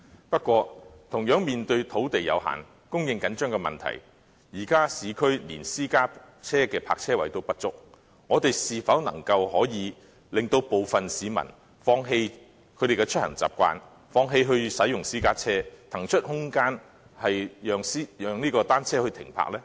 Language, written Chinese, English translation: Cantonese, 不過，同樣由於土地有限，供應緊張的問題，現時市區連私家車的泊車位也不足，我們是否能夠令部分市民放棄他們的出行習慣，放棄使用私家車，騰出空間讓單車停泊呢？, Nevertheless owing to limited land supply there are inadequate parking spaces including those for private vehicles in the urban areas . Can we make some members of the public quit their habit of commuting by car and make way for bicycle parking instead? . This problem cannot be resolved easily